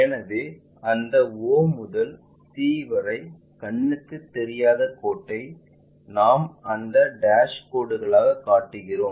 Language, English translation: Tamil, So, that c all the way from o to c whatever invisible line we show it by that dash lights